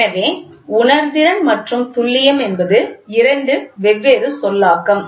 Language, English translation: Tamil, So, the sensitivity and accuracy are two different terminologies